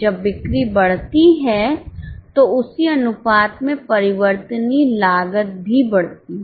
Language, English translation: Hindi, When sales increase, the VC also increases in the same proportion